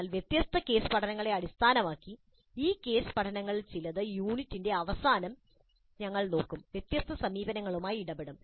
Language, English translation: Malayalam, But based on different case studies, the references to some of these case studies we'll get at the end of these units dealing with different approaches